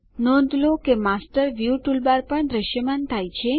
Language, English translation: Gujarati, Notice, that the Master View toolbar is also visible